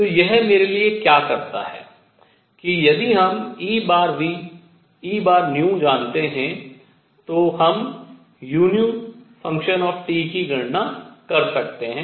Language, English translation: Hindi, So, what this does for me is if we know E bar nu we can calculate u nu T all right